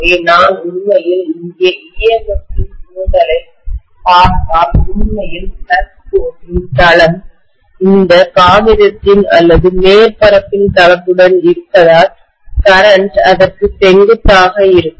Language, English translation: Tamil, So if I actually look at the induction of EMF here, because the plane of actually the flux line is along the plane of this paper or the surface, so the current would be perpendicular to that